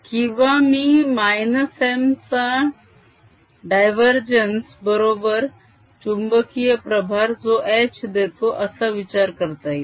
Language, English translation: Marathi, or i can think of minus divergence of m as that magnetic charge that gives rise to h